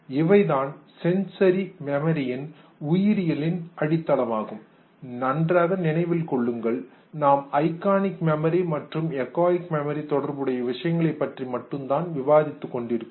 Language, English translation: Tamil, And these are the biological foundation of sensory memory especially remember we are talking only with reference to iconic and echoic memory